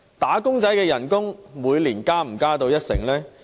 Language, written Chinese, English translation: Cantonese, "打工仔"的薪金可以每年增加一成嗎？, Can the wages of wage earners increase by 10 % each year?